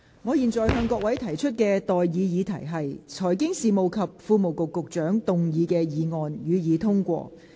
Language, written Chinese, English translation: Cantonese, 我現在向各位提出的待議議題是：財經事務及庫務局局長動議的議案，予以通過。, I now propose the question to you and that is That the motion moved by the Secretary for Financial Services and the Treasury be passed